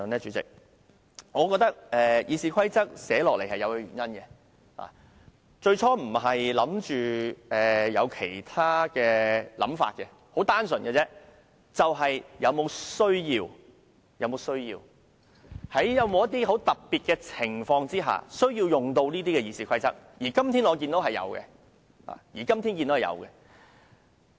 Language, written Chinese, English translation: Cantonese, 主席，我覺得《議事規則》制訂這項規則最初並沒有其他盤算，而只是純粹考慮是否有此需要，在某些特殊情況下有需要引用《議事規則》，而我今天正正看到有此需要。, President I believe there was no other calculation when this rule of the Rules of Procedure RoP was initially made . The only consideration was purely whether there was a need to do so whether it was necessary to invoke RoP under certain special circumstances . Today I can precisely see the need to do so